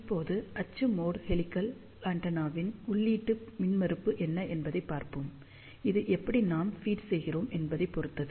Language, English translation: Tamil, Now, let us see what is the input impedance of axial mode helical antenna, it all depends how we feed